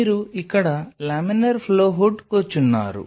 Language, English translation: Telugu, So, you have laminar flow hood sitting here